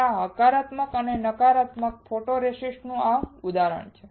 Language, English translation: Gujarati, So, this is the example of your positive and negative photoresist